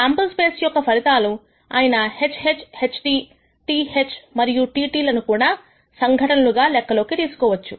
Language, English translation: Telugu, Outcomes of the sample space for example, HH, HT, TH and TT can also be considered as events